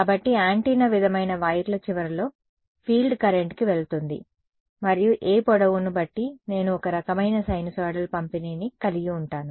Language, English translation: Telugu, So, at the end of the antenna sort of wires the field is going to the current is going to be 0 and depending on whatever length is I will have some kind of sinusoidal distribution over I mean that is